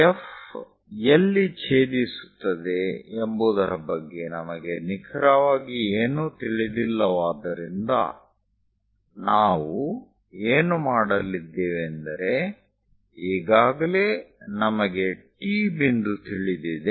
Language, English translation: Kannada, Because we do not know anything about F where exactly it is going to intersect; what we are going to do is, already T point we know, from T point make a cut